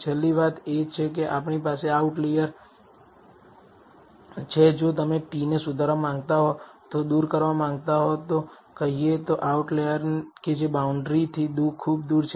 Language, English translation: Gujarati, The last thing is we have these outliers if you want to improve the t you may want to remove let us say the outlier which is farthest away from the boundary